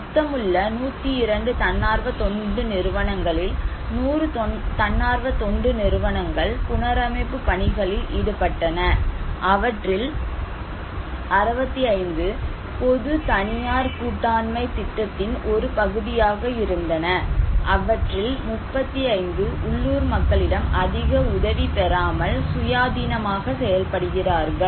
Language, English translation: Tamil, So, total 102 NGOs; 100 NGO’s were involved working on reconstructions, 65 of them have been a part of “public private partnership” program and 37 out of them is working as independently without much collaborations with the local people